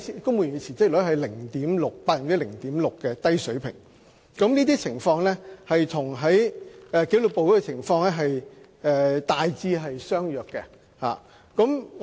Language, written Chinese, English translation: Cantonese, 公務員辭職率處於約 0.6% 的低水平，這個情況與紀律部隊的情況大致相若。, The civil service resignation rate is at a low level of about 0.6 % . There is a similar situation in the disciplined services